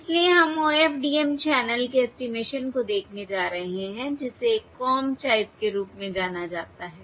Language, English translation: Hindi, So we are going to look at OFDM channel estimation using what are known as a comb type of pilot